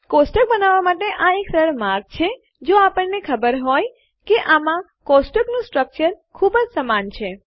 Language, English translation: Gujarati, This is an easy way of creating tables, if we know that the table structures are going to be very similar